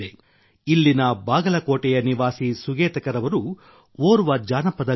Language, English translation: Kannada, Sugatkar ji, resident of Bagalkot here, is a folk singer